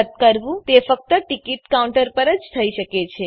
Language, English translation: Gujarati, The cancellation can be done at ticket counters only